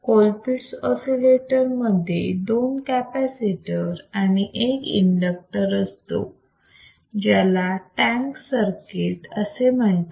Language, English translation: Marathi, Colpitt’s oscillator has two capacitors one inductor; you see this circuit